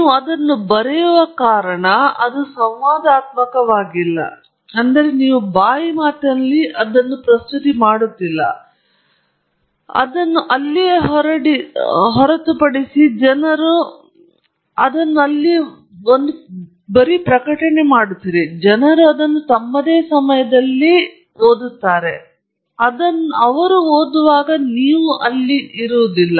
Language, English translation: Kannada, It’s not interactive because you write it and you leave it out there, people read it at their own time, you are not present when they read it